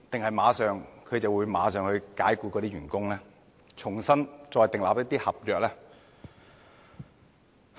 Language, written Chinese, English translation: Cantonese, 他們會否立即解僱員工，重新訂立一些合約？, Would they immediately sack their employees and enter into new agreements?